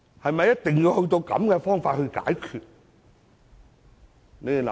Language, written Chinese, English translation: Cantonese, 是否一定要以這種方法解決問題？, Is it the only way to solve the problems?